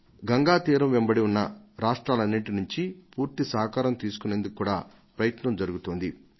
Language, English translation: Telugu, We are seeking the full cooperation of all the states through which Ganga flows